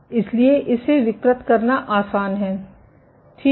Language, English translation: Hindi, So, it is easy to deform it ok